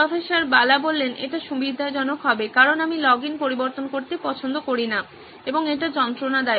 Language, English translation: Bengali, That would be convenient because I hate switching login and that is a pain